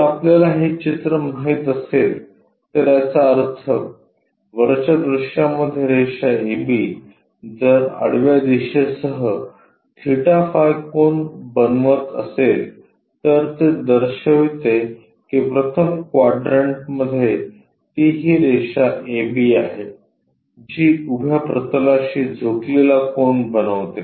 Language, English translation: Marathi, In case if we know this picture; that means, in the top view the line a b if it is making an angle theta phi with the horizontal that indicates that it is this line A B in that first quadrant making an inclination angle with respect to vertical plane